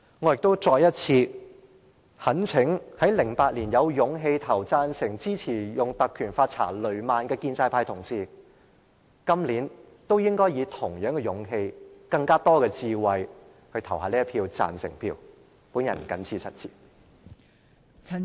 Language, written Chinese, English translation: Cantonese, 我亦再次懇請在2008年有勇氣投贊成票，支持以《立法會條例》調查雷曼事件的建制派同事，今年也以同樣勇氣及更多的智慧，投下贊成的一票。, As for fellow colleagues from the pro - establishment camp who had the courage to vote for the proposal to invoke the Legislative Council Ordinance in 2008 to launch an inquiry into the Lehman incident I would also like to sincerely urge them once again to vote for the current proposal with the same courage and a little more wisdom